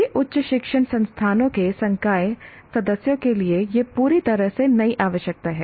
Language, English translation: Hindi, This is a completely new requirement for faculty members of all higher educational institutions